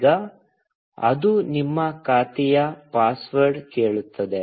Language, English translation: Kannada, Now, it will ask you for your account password